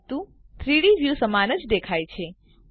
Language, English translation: Gujarati, But the 3D view looks the same